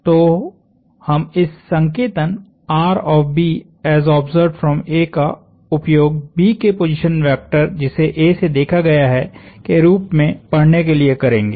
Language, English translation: Hindi, So, we are going to use this notation to be read as position vector of B as observed from A